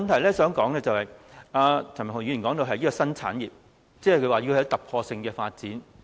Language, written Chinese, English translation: Cantonese, 第二，譚文豪議員說這是一個新產業，要有突破性的發展。, Second Mr Jeremy TAM said that this was a new trade and needed a breakthrough in development